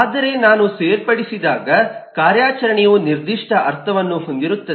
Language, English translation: Kannada, but when I add, the operation has very specific meaning